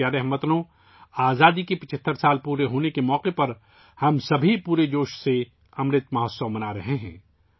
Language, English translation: Urdu, My dear countrymen, on the occasion of completion of 75 years of independence, all of us are celebrating 'Amrit Mahotsav' with full enthusiasm